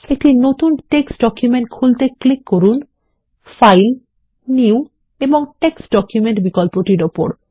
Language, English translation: Bengali, Lets open a new text document by clicking on File, New and Text Document option